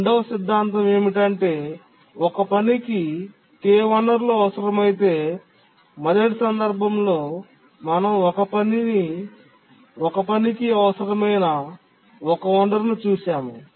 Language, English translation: Telugu, The second theorem is that if a task needs K resources, the first one we had looked at one resource needed by a task